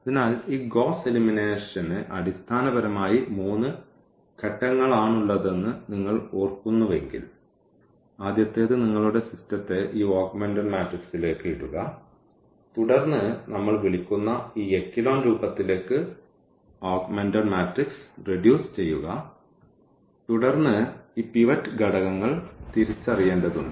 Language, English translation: Malayalam, So, if you remember there this Gauss elimination was basically having three steps – the first one putting your system into this augmented matrix then reducing the augmented matrix exactly into this echelon form which we call and then we need to identify these pivot elements